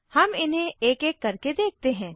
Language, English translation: Hindi, Let us see them one by one